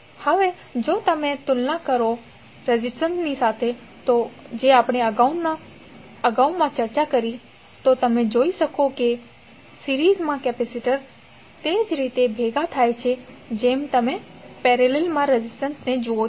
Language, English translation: Gujarati, Now if you compare with the, the previous discussion related to resistance you can observe that capacitors in series combine in the same manner as you see resistance in the parallel